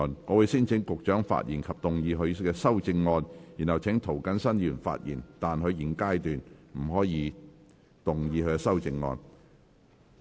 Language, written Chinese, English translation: Cantonese, 我會先請局長發言及動議他的修正案，然後請涂謹申議員發言，但他在現階段不可動議修正案。, I will first call upon the Secretary to speak and move his amendments . Then I will call upon Mr James TO to speak but he may not move his amendment at this stage